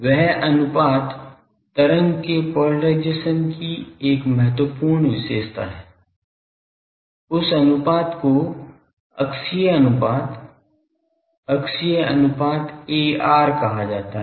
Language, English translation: Hindi, That ratio is an important characteristic thing of the polarisation of the wave; that ratio is called axial ratio, axial ratio AR